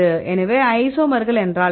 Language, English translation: Tamil, So, what is the isomers